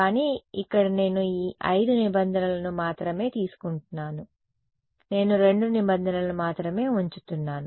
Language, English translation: Telugu, But here I am taking only out of these 5 terms I am only keeping 2 terms